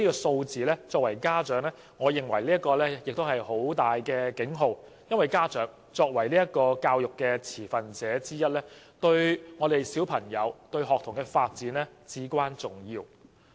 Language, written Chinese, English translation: Cantonese, 身為家長，我認為這些數字是一個重要警號，因為家長作為教育的持份者之一，對學童的發展至關重要。, As a parent I consider these figures have sounded a major alarm because parents as one of the stakeholders in education are crucial to the development of school children